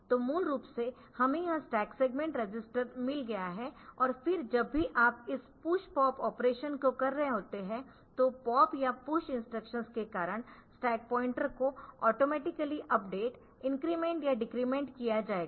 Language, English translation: Hindi, So, basically we have got this stack segment register and then whenever you are doing this push pop operations then this stack pointer will be utilized and the stack pointer will automatically be updated incremented or decremented due to pop or push instructions